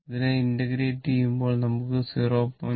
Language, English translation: Malayalam, So, integration of this term will vanish it will 0